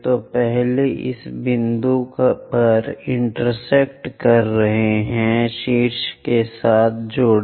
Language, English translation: Hindi, So, the first one is intersecting at this point 1, join that with apex